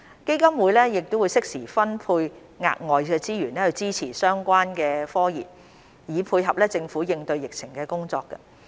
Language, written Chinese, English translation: Cantonese, 基金會適時分配額外資源支持相關科研，以配合政府應對疫情的工作。, HMRF will suitably allocate additional resources to support research in these areas in order to complement the Governments work in combating the epidemic